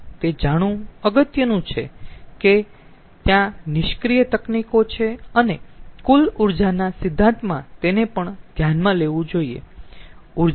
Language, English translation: Gujarati, so it is important to know there are passive techniques and in the total energy principle one should also consider them